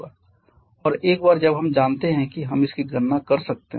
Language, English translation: Hindi, And once we know that we can calculate this